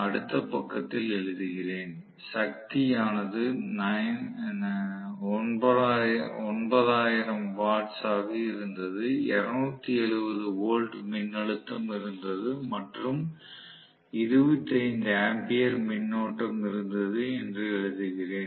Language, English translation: Tamil, Again let me write down in the next page that was actually 9000 watts was the power, 270 volts was the voltage and 25 amperes was the current